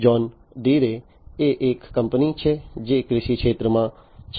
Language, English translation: Gujarati, John Deere is a company which is in the agriculture space